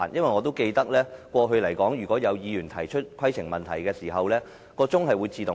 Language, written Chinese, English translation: Cantonese, 我記得以往當議員提出規程問題時，計時器會自動暫停。, I remember that previously when a Member raised a point of order the timer would be paused automatically